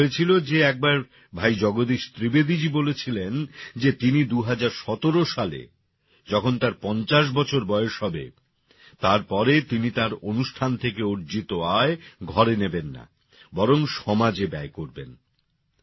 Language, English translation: Bengali, It so happened that once Bhai Jagdish Trivedi ji said that when he turns 50 in 2017, he will not take home the income from his programs but will spend it on society